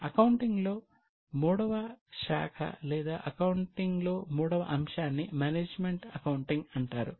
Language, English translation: Telugu, The third step in accounting or a third stream in accounting is known as management accounting